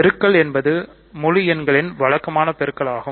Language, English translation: Tamil, So, multiplication is the usual; multiplication is the usual multiplication of integers